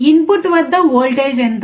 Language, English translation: Telugu, What is the voltage at the input